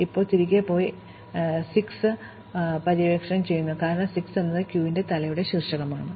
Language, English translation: Malayalam, Now, we go back and explore 6, because 6 is the vertex at the head of the queue